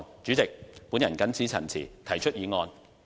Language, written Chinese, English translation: Cantonese, 主席，我謹此陳辭，提出議案。, With these remarks President I introduce the Bill